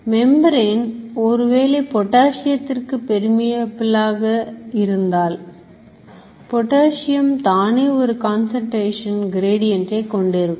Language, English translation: Tamil, Now if you remember if the membrane is more permeable to potassium, so potassium is doing its concentration gradient on its own